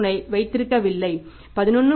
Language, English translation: Tamil, 3 you don't keep 11